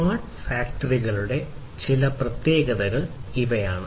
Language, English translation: Malayalam, These are some of the characteristics of smart factories connection